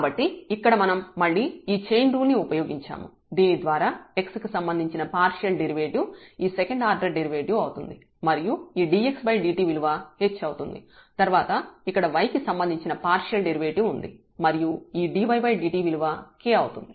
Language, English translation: Telugu, So, with respect to t sorry with respect to t So, here we have used this chain rule again so that the partial derivative with respect to x again of this second order derivative and then dx over dt which becomes h then the partial derivative of this with respect to y here and then dy over dt which is k